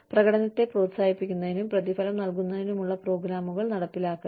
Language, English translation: Malayalam, Implementation of programs, to encourage and reward, performance